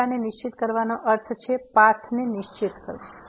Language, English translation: Gujarati, Fixing theta means fixing the path